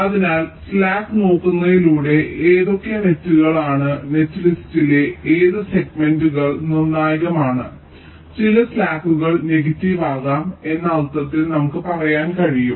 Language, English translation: Malayalam, so by looking at the slack we can tell which of the nets are, which of the segments of the net list are critical in the sense that some of the slacks may become negative